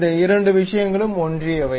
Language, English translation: Tamil, These two things are coincident